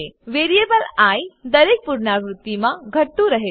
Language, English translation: Gujarati, The variable i gets decremented in every iteration